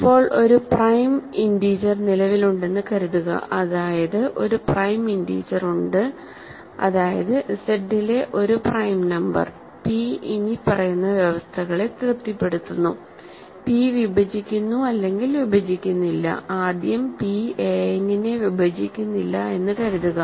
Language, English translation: Malayalam, So, now, suppose that that there exists a prime integer there exists a prime integer that means, a prime number in Z, p such that it satisfies the following conditions, p divides or does not divide, first let me say p does not divide a n